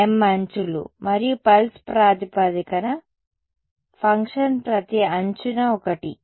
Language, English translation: Telugu, m m edges right and the pulse basis function is one along each edge right